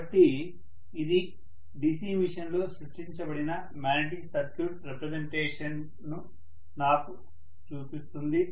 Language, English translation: Telugu, So this shows me the representation of the magnetic circuit that is created in a DC machine, fine